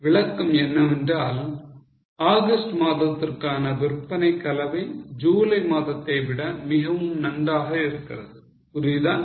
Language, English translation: Tamil, The explanation was that the sales mix of August is much better than that of July